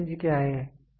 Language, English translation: Hindi, So, what is range